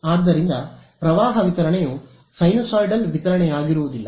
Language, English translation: Kannada, So, that current distribution will no longer be a sinusoidal distribution